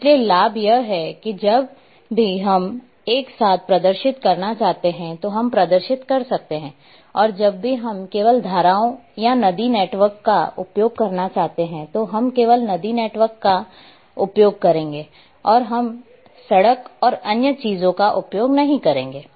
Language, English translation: Hindi, So, the advantage is whenever we want to display together we can display and whenever we want to use just say streams or river network we will only use river networks and we will not use road and other thing